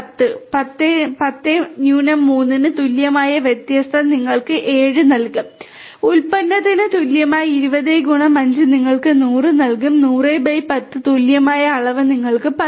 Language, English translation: Malayalam, Difference equal to 10 3 will give you 7, product equal 20 x 5 will give you 100, quotient equal to 100 / 10 will give you 10